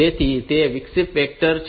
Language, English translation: Gujarati, So, it is this interrupt vector table